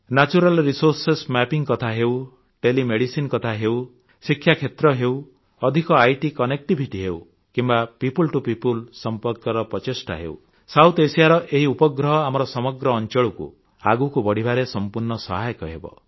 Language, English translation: Odia, Natural resources mapping, tele medicine, the field of education, deeper IT connectivity or fostering people to people contact this satellite will prove to be a boon in the progress of the entire region